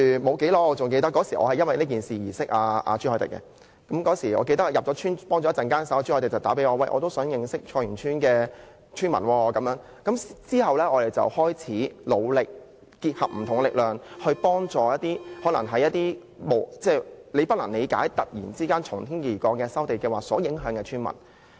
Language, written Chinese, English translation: Cantonese, 我記得正是因為此事而認識朱凱廸議員的，他是在我入村提供協助後不久致電給我，說想認識菜園村的村民，然後大家便開始努力結集不同的力量，幫助那些無法理解為何突然會受從天而降的收地計劃影響的村民。, I recall that I came to know Mr CHU Hoi - dick because of this incident . Shortly after I entered the village to provide assistance he called me and said he wanted to get to know the villagers at Choi Yuen Tsuen . Thereafter we worked hard to bring together various strengths to help the villagers who had no clue as to why they were suddenly affected by the land resumption plan